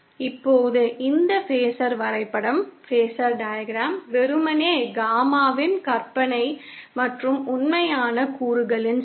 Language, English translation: Tamil, Now this phasor diagram is simply a plot of the imaginary and real components of Gamma